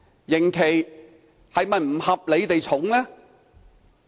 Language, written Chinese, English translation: Cantonese, 刑期是否不合理地過重呢？, Is the sentence term unreasonably heavy?